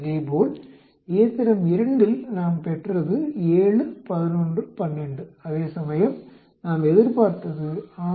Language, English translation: Tamil, Similarly, on machine 2 we see observed is 7, 11, 12 whereas we expect 6, 12, 12